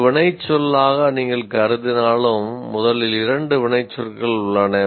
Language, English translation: Tamil, Even if you consider have as an action verb, first of all there are two action verbs